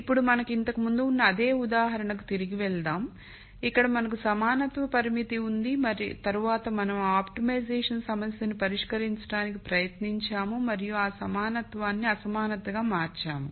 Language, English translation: Telugu, Now, let us go back to the same example that we had before, where we had the equality constraint and then we tried to solve the optimization problem and then just make that equality into an inequality